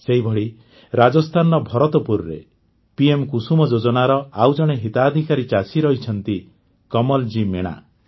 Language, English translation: Odia, Similarly, in Bharatpur, Rajasthan, another beneficiary farmer of 'KusumYojana' is Kamalji Meena